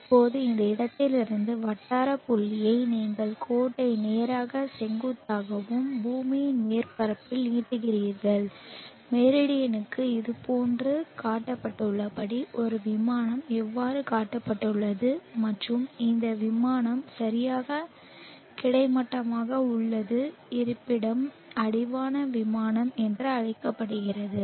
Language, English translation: Tamil, to the equatorial plane and this angle is the latitude angle now from this point the locality point you draw you extend the line straight up vertically up and at the surface of the earth let us how a plane which is tangential to the Meridian are shown like this and this plane is exactly horizontal and the locality is called the horizon plane